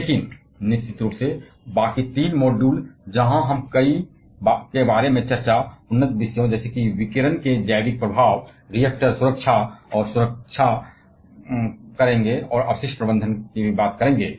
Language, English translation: Hindi, But of course, the rest of three modules where we shall be discussing about several advanced topics such as biological effects of radiation, the reactor safety and security, and also the waste management